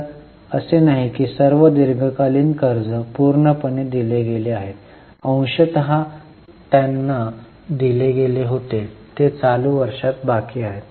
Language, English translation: Marathi, So, not that all the long term borrowings were completely paid, partly they were paid, remaining are due in the current year